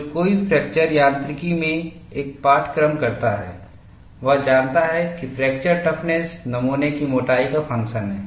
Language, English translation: Hindi, Now, this is a standard knowledge, for anyone who does a course in fracture mechanics, he knows fracture toughness is function of a thickness of the specimen